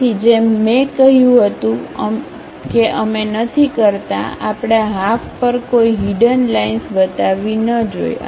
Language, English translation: Gujarati, So, as I said we do not, we should not show any hidden lines on this half